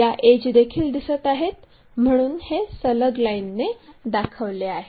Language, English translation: Marathi, These edges are also visible that is a reason these are continuous lines